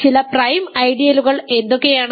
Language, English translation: Malayalam, So, what are some prime ideals